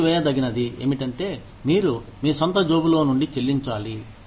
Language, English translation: Telugu, Deductible is what, you pay out of your own pocket